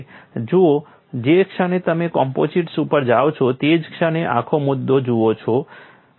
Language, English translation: Gujarati, See the moment you go to composites, the whole issue is different